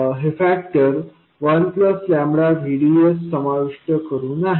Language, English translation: Marathi, This is including the factor 1 plus lambda VDS